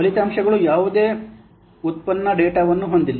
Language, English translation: Kannada, The results contains no derived data